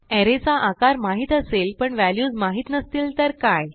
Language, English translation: Marathi, Now what if we know only the size of the array and do not know the values